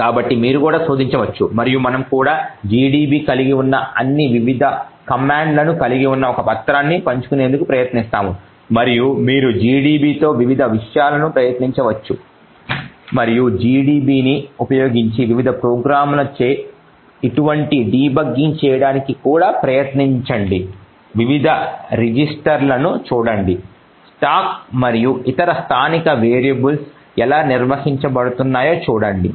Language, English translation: Telugu, So you could also search and we will also try to share a document which comprises of all the various commands the gdb has and you can actually try various things with gdb and also try to do such debugging with various other programs using gdb, look at the various registers and see how the stack and other local variables are maintained, thank you